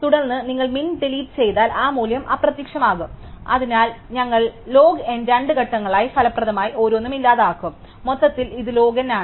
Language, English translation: Malayalam, And then, if you delete min that value is disappear and so we would effectively in two steps of log n each we would deleted it, so overall it is log n